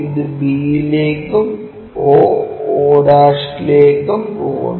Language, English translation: Malayalam, So, those will be o' and o 1' here